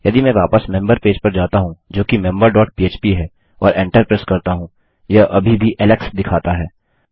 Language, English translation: Hindi, If I go back to the member page which is member dot php and press enter it is still saying alex